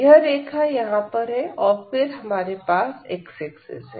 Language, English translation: Hindi, So, this is the line here and then we have the x axis